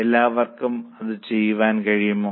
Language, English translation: Malayalam, All are able to do it